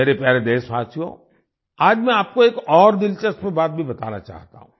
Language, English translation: Hindi, My dear countrymen, today I want to tell you one more interesting thing